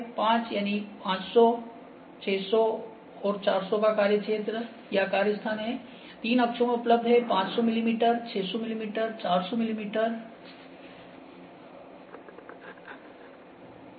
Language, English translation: Hindi, 5 is 500, 600 and 400 is the work area or the workspace that is available in the 3 axis; 500 mm, 600 mm, 400 mm ok